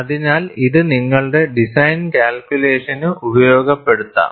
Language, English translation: Malayalam, So, that means, this could be utilized in your design calculation